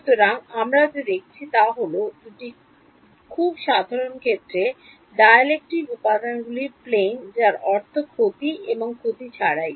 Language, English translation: Bengali, So, what we have looked at is two very very simple cases dielectric material plane I mean without loss and with loss